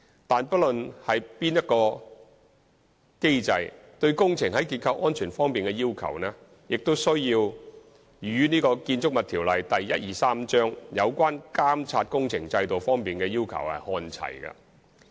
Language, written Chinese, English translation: Cantonese, 但是，不論何種機制，對工程在結構安全方面的要求，也需要與《建築物條例》有關監察工程制度方面的要求看齊。, Regardless of the type of mechanism structural safety requirements of the project also have to be on par with the requirements of works supervision under the Buildings Ordinance Cap